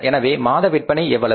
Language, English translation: Tamil, So, what is the monthly sales